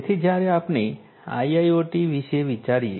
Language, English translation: Gujarati, So, you know when we think about IIoT